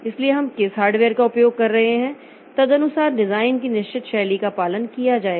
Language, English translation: Hindi, So, which hardware we are using accordingly certain style of design will be followed